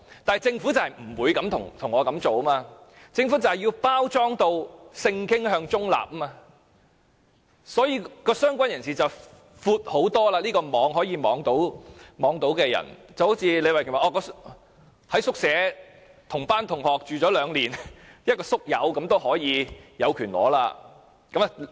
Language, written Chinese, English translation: Cantonese, 但是，政府不會這樣做，政府就是要包裝成性傾向中立，所以，"相關人士"的範圍非常闊，可以涵蓋很多人，正如李慧琼議員所舉的例子，同班同學在宿舍一起居住兩年，這樣的"宿友"也有權領取骨灰。, But the Government would not do so . The Government wants to package it as sexual orientation - neutral so the scope of related person is very broad covering a wide range of people . As in the example given by Ms Starry LEE classmates having lived together in a dormitory for two years have the right to claim ashes too